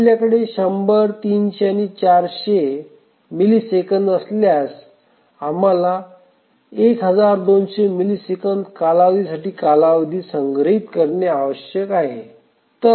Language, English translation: Marathi, So, if we have 100, 300 and let's say 400, then we need to store the period the schedule for a period of 1,200 milliseconds